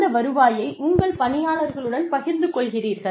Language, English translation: Tamil, You share those revenues with your employees